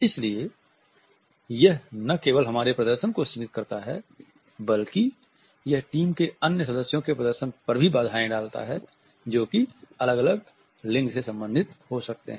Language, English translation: Hindi, So, it constricts not only my performance, but it also puts certain under constraints on the performance of other team members also who may belong to different genders